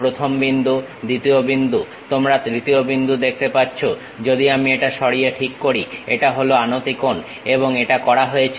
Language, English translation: Bengali, First point, second point, you see third point if I am moving it adjusts it is inclination angle and done